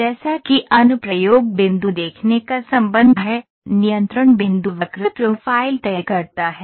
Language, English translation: Hindi, So, what did as per as application point of view is concerned, the control points decides the curve profile